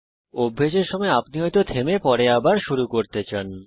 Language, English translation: Bengali, While practicing, you may want to pause and restart later